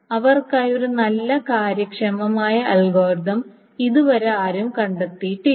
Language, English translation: Malayalam, Nobody has found a good efficient algorithm for them yet